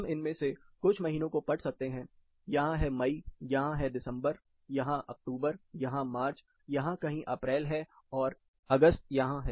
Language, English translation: Hindi, I can read some of these months, here it is May, there is December here, you have October, here march, is somewhere located here April, August is here